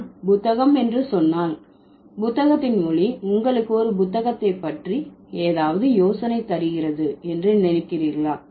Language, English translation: Tamil, If I say book, do you think the sound of the book give you any idea about a book or when I say tree